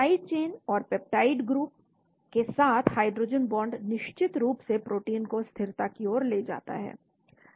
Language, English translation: Hindi, Hydrogen bonds by side chains and peptide groups leads to protein stability of course